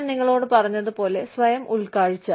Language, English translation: Malayalam, Like i told you, self insight, self outside